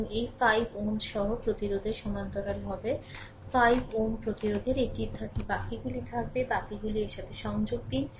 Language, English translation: Bengali, And with this 5 ohm resistance will be in parallel 5 ohm resistance will be in rest you connect with this right, rest you connect with this